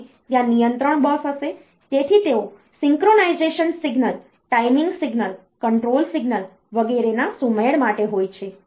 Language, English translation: Gujarati, And there is control bus; so they are for synchronization of synchronization signal, timing signal, control signals etcetera